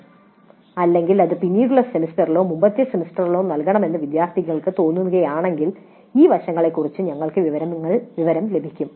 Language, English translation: Malayalam, Or if the students feel that it must be offered in a later semester or earlier semester, we could get information on these aspects